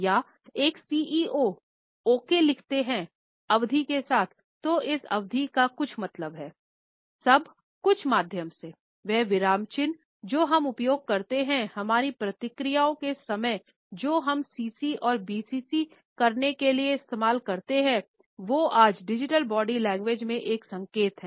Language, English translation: Hindi, Or, if a CEO writes in ok with a period does that period mean something, everything from the trace of the medium we use to the punctuation we used to the timing of our response to who we CC and BCC in our conversations are signals at digital body language today